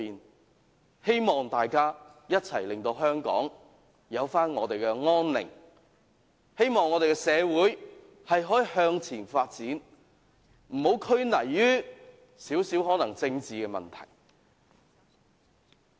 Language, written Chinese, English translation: Cantonese, 我也希望大家一起令香港回復安寧，希望我們的社會可以向前發展，不要拘泥於少許政治問題。, I urge all of us to work together to restore peace in Hong Kong so that our society will move forward without being hindered by these minor political issues